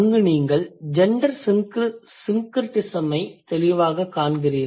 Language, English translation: Tamil, So, there you clearly see a gender syncretism